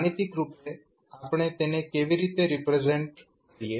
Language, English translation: Gujarati, Mathematically, how we represent